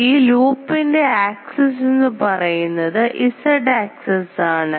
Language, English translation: Malayalam, So, the loop axis is in the Z axis